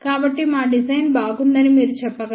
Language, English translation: Telugu, So, hence you can say our design is good